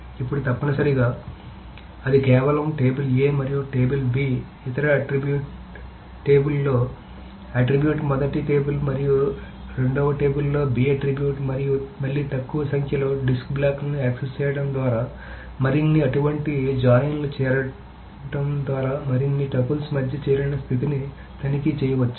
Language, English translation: Telugu, Now essentially you just go over that table A and other attribute in the table B, the attribute A in the first table and attribute B in the second table and that again by accessing lesser number of disk blocks, more such joints, the joint conditions between more triples can be checked